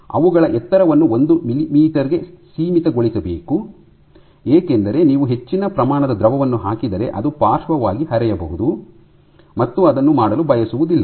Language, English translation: Kannada, So, their height should be limited to one millimeter because if you put more amount of liquid it might flow laterally